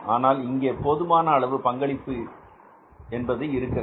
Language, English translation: Tamil, Because we have sufficient contribution available